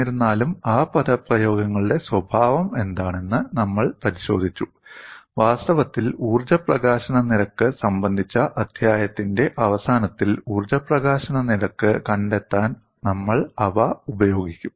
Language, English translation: Malayalam, Nevertheless, we looked at what is the nature of those expressions, and in fact towards the end of the chapter on energy release rate, we would use them to find out the energy release rate